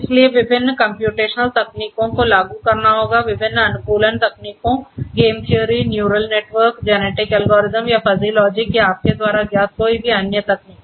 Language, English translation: Hindi, So, different computational techniques will have to be implemented, different optimization techniques game theory, neural networks you know genetic algorithms, or you know fuzzy logic or anything you know